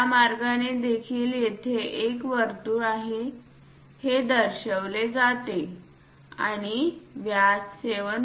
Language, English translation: Marathi, So, this way also represents that there is a circle and the diameter is 7